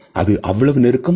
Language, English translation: Tamil, Is this too close